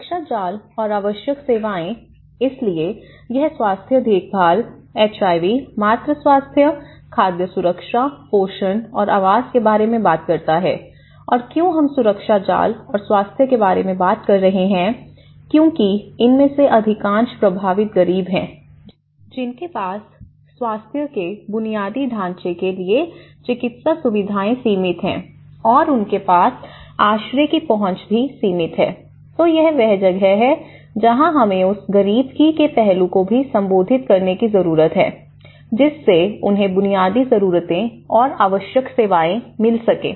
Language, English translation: Hindi, Safety nets and essential services, so this can talk about the health care, HIV, maternal health, food security, nutrition and housing and why we are talking about the safety nets and health because most of these affected are the poor, which have a limited access to the medical facilities of the health infrastructure and this is where and also, the access to shelter